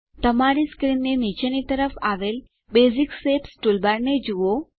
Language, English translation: Gujarati, Look at the Basic Shapes toolbar in the bottom of your screen